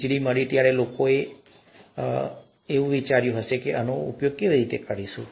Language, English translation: Gujarati, When electricity was found, people said all this is fine, but, is it really going to be useful